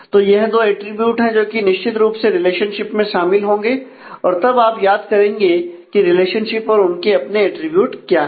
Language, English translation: Hindi, So, these are the two attributes, which will certainly be involved in the relationship and then you would recall that often relationships of their own attributes